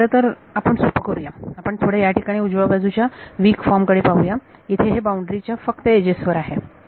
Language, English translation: Marathi, Or let us actually keep it simpler let us just look at here the weak form of right hand side here this is only over the edges on the boundary